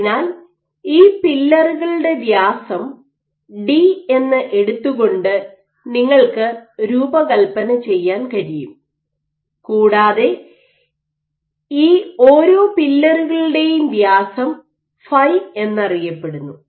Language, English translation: Malayalam, So, you can design in such a way this d is known this d prime is also known, and the diameter of each of these pillars phi is known ok